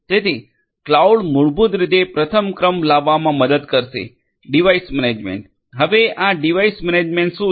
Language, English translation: Gujarati, So, cloud basically will help in doing number one device management; device management, now what is this device management